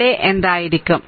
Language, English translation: Malayalam, So, what will be there